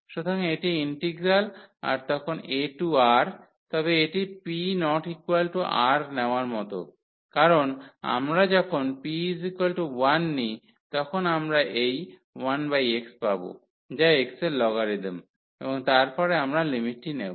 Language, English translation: Bengali, So, this is the integral then a to R, but this is like taking p is not equal to 1 because when we take p is equal to 1 we will get this 1 over x which is the logarithmic here of x and then we will take the limit